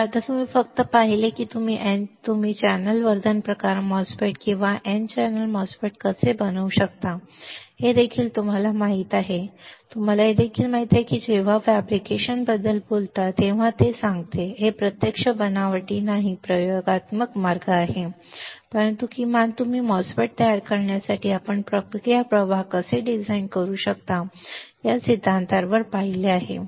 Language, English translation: Marathi, So, now you have not only seen that how you can fabricate a n channel enhancement type MOSFET or n channel MOSFET you also know you also know when I says when I talk about fabrication, it is not actual fabrication not experimental way, but at least you are seen on theory that how you can design the process flow for fabricating a MOSFET